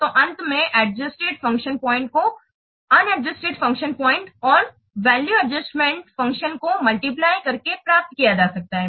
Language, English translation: Hindi, So, finally the adjusted function point can be obtained by multiplying the on adjusted function points and the value adjustment factor so this is giving to be 6 6